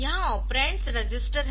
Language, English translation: Hindi, So, here the operands are registers